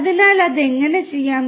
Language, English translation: Malayalam, So, how that can be done